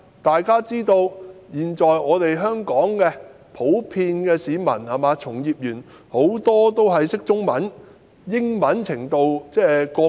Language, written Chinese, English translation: Cantonese, 大家都知道，香港的市民及從業員普遍看得懂中文，英文程度則因人而異。, As we all know generally speaking members of the public and practitioners in Hong Kong can read Chinese but their level of English proficiency may vary